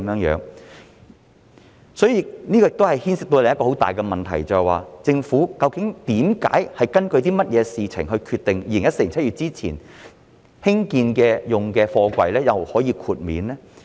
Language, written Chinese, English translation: Cantonese, 這亦牽涉到另一個很大的問題，政府究竟根據甚麼決定於2014年7月之前建成使用的貨櫃可以獲得豁免呢？, This raises yet another big question . On what basis exactly has the Government decided that containers completed before July 2014 can be exempted?